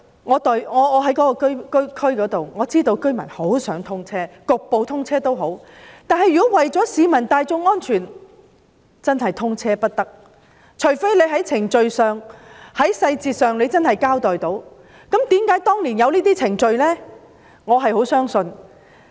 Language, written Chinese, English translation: Cantonese, 我負責當區的工作，我知道居民都很想通車，即使局部通車也好，但為了市民大眾的安全，現時是不能通車的，除非能夠清楚交代有關的程序和細節。, Now is the date of commissioning indefinite? . I am responsible for the work in the district concerned and am aware that the residents hope that SCL can be commissioned even in part . Yet to protect public safety it cannot be commissioned now unless clear explanations are given on the relevant procedures and details